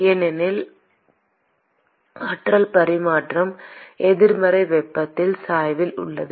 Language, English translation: Tamil, Because the energy transfer is in the negative temperature gradient